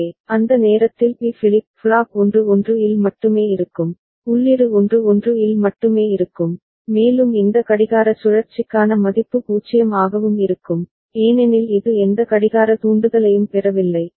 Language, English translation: Tamil, So, B flip flop at that time will remain at 1 1 only input will remain at 1 1 only and the value will remain 0 for this clock cycle as well, because it has not got any clock trigger